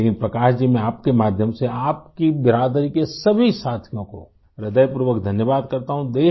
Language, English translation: Urdu, Prakash ji, through you I, thank all the members of your fraternity